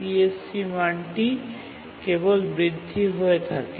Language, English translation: Bengali, So, the CSE value only increases